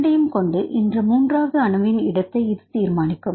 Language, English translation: Tamil, So, what determines the position of this third atom